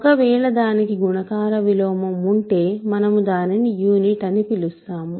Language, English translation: Telugu, If it does have a multiplicative inverse, we call it a unit ok